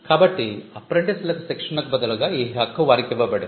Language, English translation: Telugu, So, the privilege would be given in return of training to apprentices